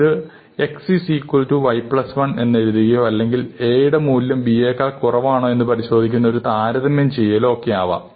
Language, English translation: Malayalam, So, this could be an operation such as assigning a value of X equal to Y plus 1 or doing a comparison, if A less than B, then do